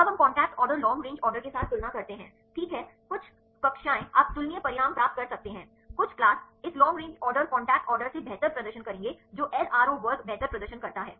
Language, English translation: Hindi, Now we compare with the contact order long range order, right, some classes you can get the comparable results, some classes this long range order will perform better than contact order which class LRO performs better